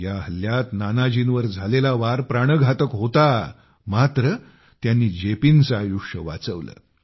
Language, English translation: Marathi, Nanaji Deshmukh was grievously injured in this attack but he managed to successfully save the life of JP